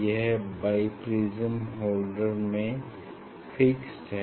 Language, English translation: Hindi, this bi prism fixed on a holder